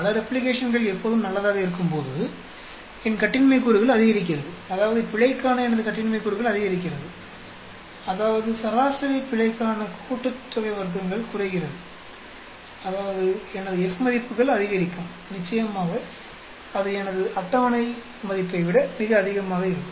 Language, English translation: Tamil, And when as many replications are always good, because my degrees of freedom increases; that means, my degrees of freedom for error increases, that means mean sum of squares for error decreases; that means, my F values will increase and definitely it will be much higher than my table value